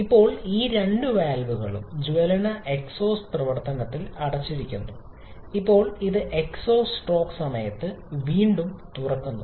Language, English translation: Malayalam, Now both valves are closed in combustion exhaust function and now it is opening again during exhaust stroke